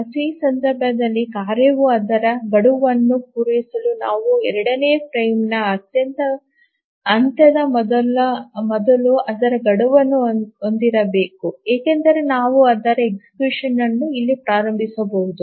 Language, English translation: Kannada, And in this case for the task to meet its deadline we must have its deadline before the end of the second frame because we may at most start its execution here